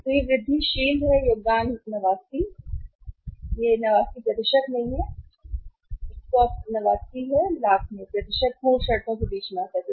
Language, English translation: Hindi, So, this is the incremental contribution 89 sorry this is not the present 89 when you say here this is the absolute terms 89 lakhs not percentage comes between the absolute terms